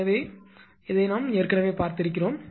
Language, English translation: Tamil, So, this already we have seen